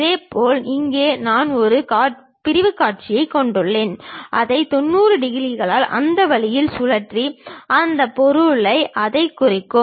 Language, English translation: Tamil, Similarly, here we have a sectional view, rotate it by 90 degrees in that way and represent it on that object